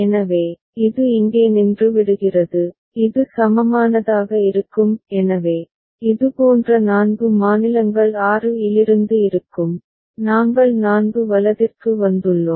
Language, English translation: Tamil, So, it stops here and this will be the equivalence so, four such states will be there from 6, we have come down to 4 right